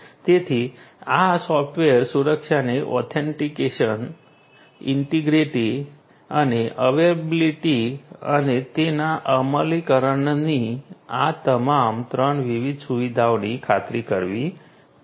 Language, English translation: Gujarati, So, this software security will have to ensure all these three different features the features of authentication, integrity and availability and their implementation